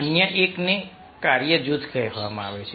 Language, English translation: Gujarati, other one is called task group